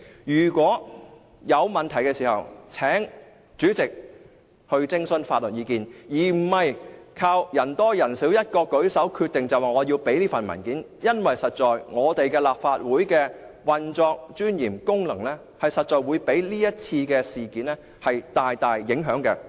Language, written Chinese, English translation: Cantonese, 如果有問題，請主席徵詢法律意見，而不是靠人多人少舉手來決定我們要提供這些文件，因為立法會的運作、尊嚴和功能確實會被這次事件大大影響。, If we are unsure whether we should provide those documents would the President please seek legal advice rather than deciding it by a simple show of hands because the operation dignity and functions of the Legislative Council will be seriously undermined by this incident